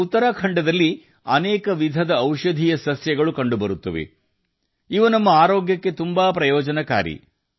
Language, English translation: Kannada, Many types of medicines and plants are found in Uttarakhand, which are very beneficial for our health